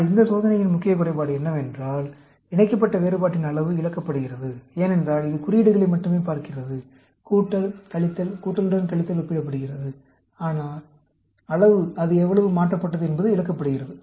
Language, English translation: Tamil, But, the main drawback of this test is, the magnitude of the paired difference is lost, because it is looking at only the signs, plus, minus comparing the pluses with the minus; the magnitude, how much it is changed, is lost